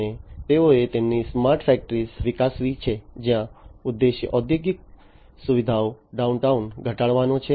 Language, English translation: Gujarati, And they have developed their smart factory, where the objective is to minimize the downtime in the industrial facility